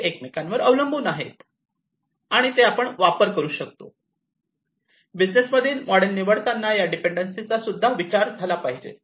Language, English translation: Marathi, So, they depend on each other, and they can be used, you know, the choice of the business models should consider this inter dependency as well